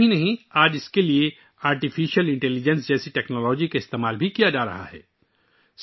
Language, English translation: Urdu, Not only that, today a technology like Artificial Intelligence is also being used for this